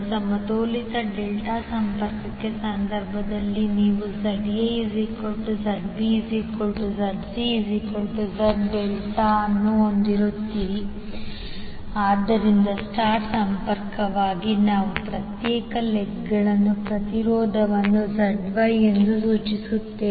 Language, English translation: Kannada, In case of balanced delta connection you will have ZA, ZB, ZC all three same so you can say simply as Z delta, so for star connected we will specify individual legs impedance as ZY